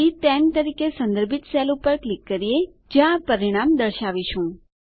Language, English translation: Gujarati, Lets click on the cell referenced as C10 where we will be displaying the result